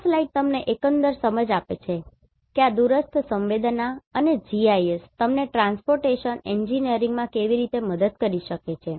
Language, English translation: Gujarati, This slide gives you the overall understanding how this remotely sensed and GIS can help you in Transportation Engineering